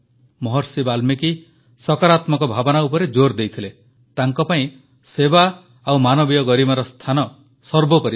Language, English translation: Odia, Maharishi Valmiki emphasized positive thinking for him, the spirit of service and human dignity were of utmost importance